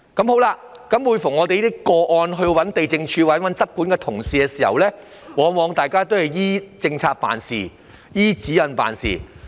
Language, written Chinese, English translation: Cantonese, 每當我們就這些個案接觸地政總署或執管人員時，他們往往緊依政策及指引辦事。, Whenever we approach the Lands Department or the enforcement officers in respect of these cases they often follow strictly the policies and guidelines